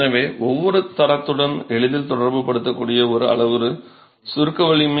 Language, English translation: Tamil, So, one parameter that can easily be correlated to every quality is compressive strength